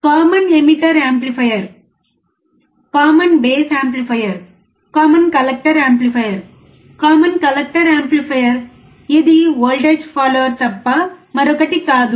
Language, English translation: Telugu, Common emitter amplifier, common base amplifier, common collector amplifier, right, Common collector amplifier is nothing but voltage follower again